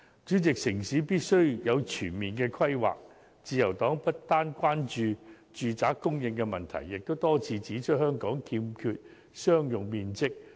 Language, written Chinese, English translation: Cantonese, 主席，城市必須有全面的規劃，自由黨不單關注住宅供應的問題，亦多次指出香港欠缺商用面積。, President comprehensive town planning is essential . The Liberal Party has not only expressed concern about the supply of residential flats but it has also pointed out there is a lack of commercial floor areas in the territory